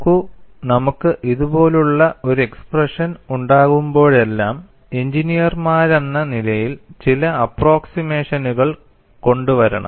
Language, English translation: Malayalam, See, whenever we have an expression like this, as engineers we have to bring in certain approximations